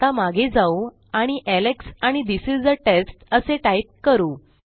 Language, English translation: Marathi, Lets go back and say Alex and This is a test